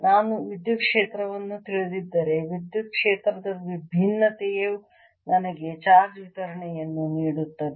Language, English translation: Kannada, if i know the electric field, then divergence of electric field gives me the charge distribution